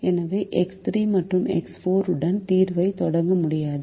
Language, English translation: Tamil, so we will not be able to start the solution with x three and x four